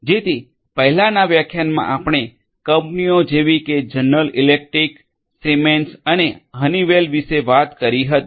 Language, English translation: Gujarati, So, in the previous lecture we talked about the companies like General Electric, Siemens and Honeywell